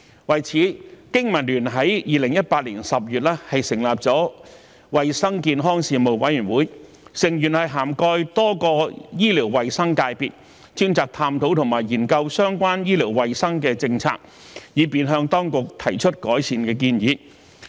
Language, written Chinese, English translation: Cantonese, 為此，經民聯在2018年10月成立了衞生健康事務委員會，成員涵蓋多個醫療衞生界別，專責探討和研究相關醫療衞生的政策，以便向當局提出改善的建議。, In view of this BPA established the Hygiene and Health Committee in October 2018 which consists of members from various healthcare professions and is specifically responsible for exploring and studying related healthcare policies so as to make recommendations to the authorities for improvement